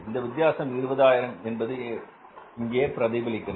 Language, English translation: Tamil, So this difference of 20,000 has reflected here